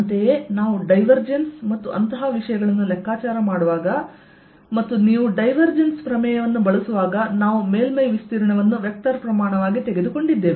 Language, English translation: Kannada, similarly, when we were calculating divergence and things like those, and when you use divergence theorem, we took surface area as a vector